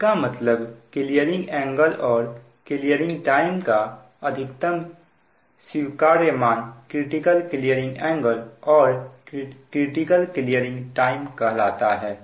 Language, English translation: Hindi, the maximum allowable value of the clearing angle and clearing time for the system to remain stable are known as critical clearing angle and critical clearing time